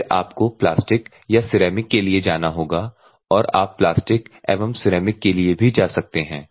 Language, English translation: Hindi, Then you have to go for plastic or ceramic or plastic and ceramic also you can go